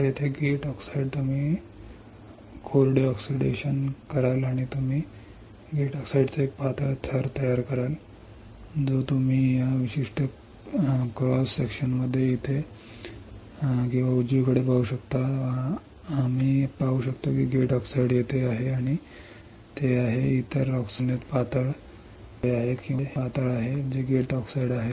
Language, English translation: Marathi, So, here for gate oxide you will dry oxidation and you will form a thin layer of gate oxide, which you can see right over here right or right over here in this particular cross section, we can see the gate oxide is here and it is thinner compared to other oxide which is here or here right this is thinner which is gate oxide